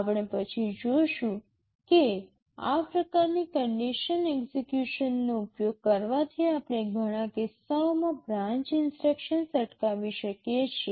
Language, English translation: Gujarati, We shall see later that using this kind of condition execution allows us to prevent branch instructions in many cases